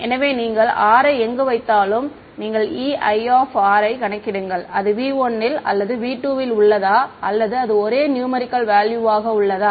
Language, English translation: Tamil, So, wherever you put r you calculate E i of r whether it is in v 1 or v 2 it is a numerical value right